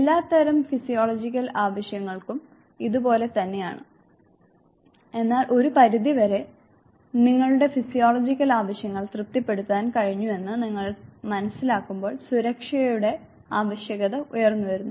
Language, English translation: Malayalam, Same with all types of physiological needs, but then you realize that once to certain extent you have been able to satisfy your physiological needs, the need for safety arises